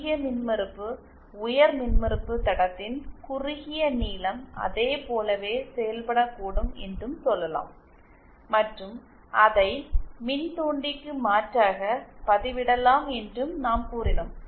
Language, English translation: Tamil, And we also said that high impedance, short length of high impedance line can act as in that and we can substitute that for inductor